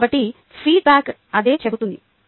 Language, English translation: Telugu, so that is what the feedback says